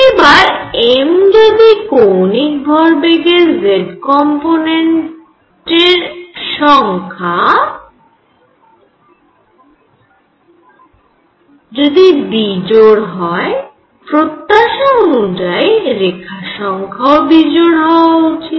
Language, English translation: Bengali, So, if number of m values that is z component of angular momentum is odd what they would expect to see is that the number of lines here should be odd, right